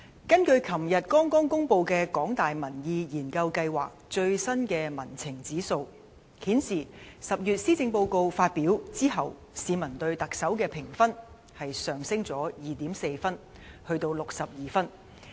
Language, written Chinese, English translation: Cantonese, 根據昨天剛公布的香港大學民意研究計劃的最新民情指數顯示，施政報告在10月發表之後，市民對特首的評分上升了 2.4 分，至62分。, The latest Public Sentiment Index compiled by the Public Opinion Programme at the University of Hong Kong was released yesterday . The popularity rating of the Chief Executive has increased by 2.4 marks to 62 marks since the delivery of the Policy Address in October